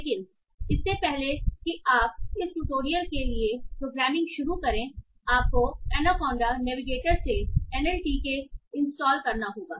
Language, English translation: Hindi, But before you start programming for this tutorial you have to install an LTK from Anaconda Navigator